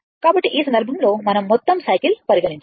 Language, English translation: Telugu, We have to consider from the whole cycle